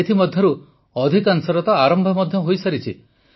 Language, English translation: Odia, Most of these have already started